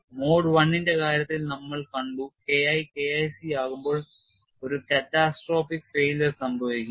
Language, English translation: Malayalam, And we have seen in the case of mode one when K 1 becomes K1c catastrophic failure would occur